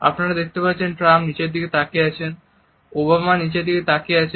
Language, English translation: Bengali, So, you will notice that Trump is looking down and Obama is looking down